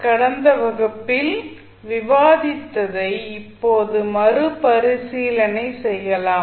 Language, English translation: Tamil, So, now let us recap what we discussed in the last class